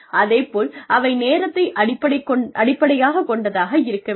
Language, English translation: Tamil, And, they should be time based